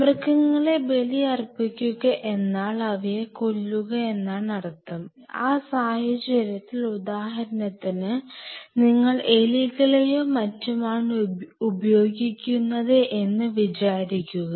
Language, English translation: Malayalam, So, your sacrificing the animal means you to kill the animal and, in that case, say for example, we consider that you will be using mice or you will be using rats or something